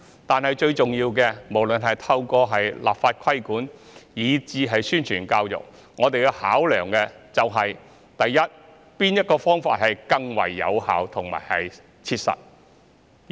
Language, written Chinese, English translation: Cantonese, 但最重要的是，無論是透過立法規管以至宣傳教育，我們要考量的是哪種方法更為有效和切實可行。, But most importantly whether this issue should be addressed through regulation by legislation or publicity and education we have to consider which approach is more effective and practicable